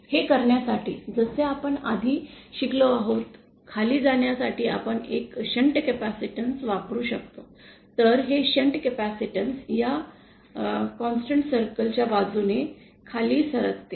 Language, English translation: Marathi, To do this, as we have learned earlier, to go downwards, we can use a shunt capacitance, then this shunt capacitance will move downwards along this constant conductance circle